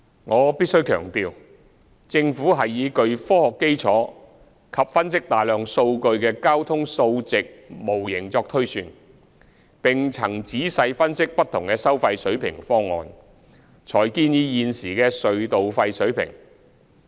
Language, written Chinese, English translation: Cantonese, 我必須強調，政府是以具科學基礎及分析大量數據的交通數值模型作推算，並曾仔細分析不同的收費水平方案，才建議現時的隧道費水平。, I must stress that the Government used a transport numerical model with sound scientific basis and a large amount of data analysed to make projections and thoroughly analysed various toll proposals before proposing the existing toll adjustments